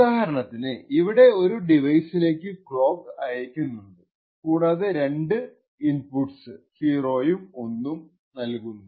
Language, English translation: Malayalam, So for example over here we have a clock which is sent to a particular device and we have actually showing two inputs data 0 and data 1